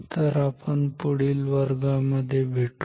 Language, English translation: Marathi, So, let us meet in our next class